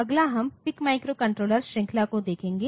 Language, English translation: Hindi, Next, we will look into the PIC microcontroller series